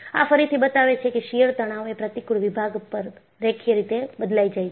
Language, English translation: Gujarati, And, this again, shows the shear stress varies linearly over the cross section